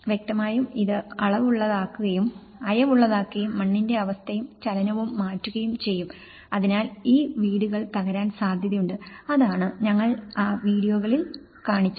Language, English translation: Malayalam, And obviously, this can loosen and this can change the soil conditions and movement beneath, so in that way, there is a possibility that these houses may collapse, so that is what we have seen in those videos